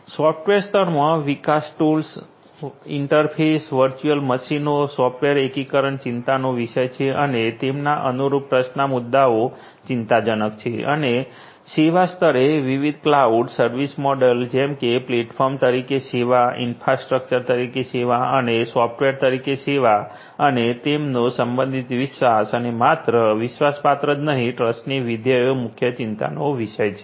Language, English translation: Gujarati, At the software level development tools, interfaces, virtual machines, software integration are of concerned and their corresponding trust issues are of concern and at the services level different cloud service models for example like the platform is the service, infrastructure as a service and software service and their corresponding trust and that not only trustworthy, trust functionalities are of prime concerned